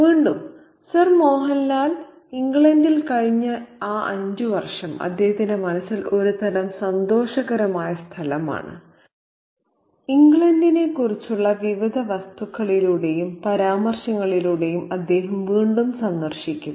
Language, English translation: Malayalam, And again, those five years that Sir Monal has been in England is a kind of a happy place in his mind, one that he keeps revisiting through all these various objects and references to England